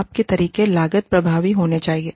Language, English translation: Hindi, The measurements methods should be, cost effective